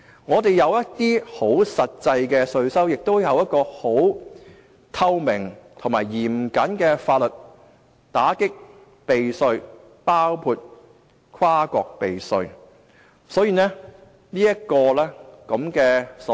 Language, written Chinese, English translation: Cantonese, 我們有一些實際稅收，亦有一套透明及嚴謹的法律來打擊避稅，包括跨國避稅。, There are actual tax revenues and we have transparent and strict laws to combat tax avoidance including cross - border tax avoidance